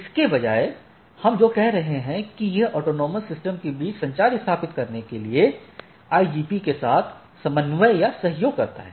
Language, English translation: Hindi, Instead what we are saying coordinates or cooperates with the IGP to establish communication between autonomous systems right